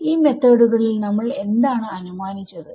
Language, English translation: Malayalam, Right so, in these methods what did we assume